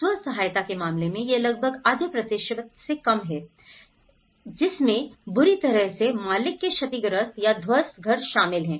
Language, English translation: Hindi, Self help similarly, it was almost less than half percentage that is where owner of badly damaged or collapsed house